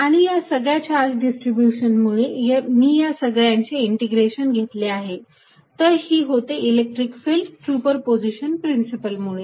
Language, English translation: Marathi, And due to this entire charge distribution, I just integrated all, this becomes the electric field by principle of super position